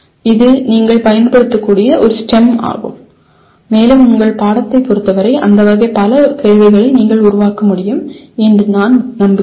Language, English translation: Tamil, This is a STEM that you can use and with respect to your subject I am sure you can generate several questions of that type